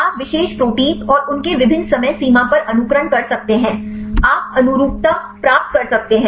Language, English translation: Hindi, You can simulate the particular protein and at their various time frame; you can get the conformation